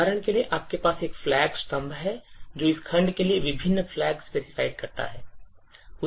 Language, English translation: Hindi, For example, you have a flag column which specifies the various flags for this particular section